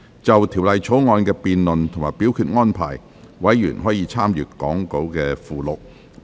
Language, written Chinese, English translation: Cantonese, 就《條例草案》的辯論及表決安排，委員可參閱講稿附錄。, Members may refer to the Appendix to the Script for the debate and voting arrangements for the Bill